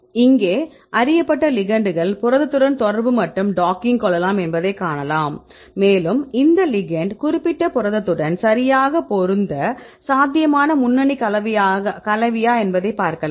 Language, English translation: Tamil, And here the known ligand right then you can see these ligands can interact with this protein right you can see the docking, and see whether this ligand will fit right with the particular protein right and this could be a probable lead compound or not